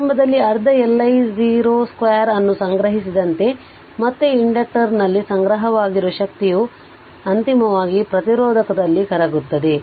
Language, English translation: Kannada, Initially as stored half L I 0 square again the energy initially stored in the inductor is eventually dissipated in the resistor right